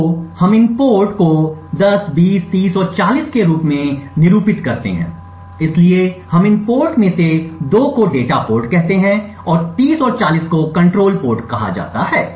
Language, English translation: Hindi, So, let us call these ports as 10, 20, 30 and 40, so we call 2 of these ports as the data ports, so it is called data ports and 30 and 40 as the control ports